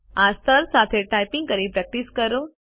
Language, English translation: Gujarati, Practice typing with this level